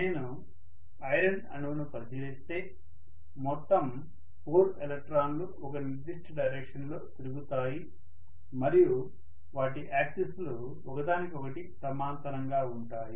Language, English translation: Telugu, So if I look at the iron atom, all the 4 electrons will spin in a particular direction and their axis are being parallel to each other